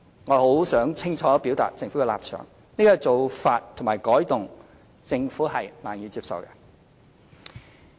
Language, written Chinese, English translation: Cantonese, 我很想清楚表達政府的立場，這種做法和改動政府是難以接受的。, I wish to state very clearly the Governments stance that such a practice and change are unacceptable